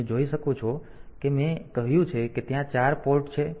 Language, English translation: Gujarati, So, you can see that we have I said that there are 4 ports